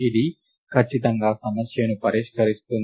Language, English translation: Telugu, This definitely does solve the problem